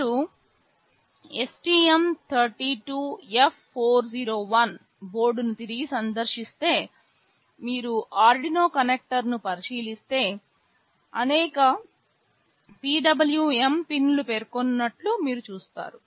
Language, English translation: Telugu, If you revisit the STM32F401 board, if you look at the Arduino connector you will see there are several PWM pins mentioned